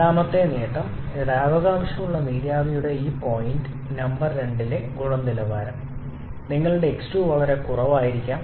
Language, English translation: Malayalam, And the second advantage is here, like in case of wet steam the quality at this point number two your x2 can be quite low which is much higher with superheated vapour